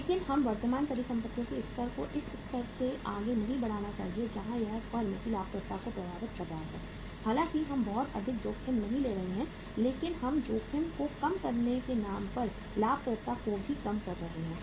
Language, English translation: Hindi, But we should not increase the level of current assets beyond a level where it is impacting the profitability of the firm though we are not taking much risk but we are reducing the profitability also on the name of reducing the risk